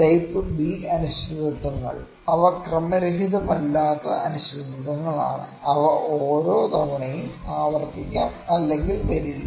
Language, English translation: Malayalam, So, the type B uncertainties are the uncertainties which are not random which may or may not repeat each time